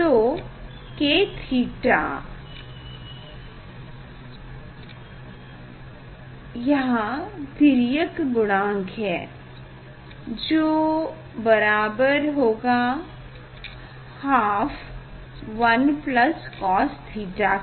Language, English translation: Hindi, that is K theta obliquity factors equal to half 1 plus cos theta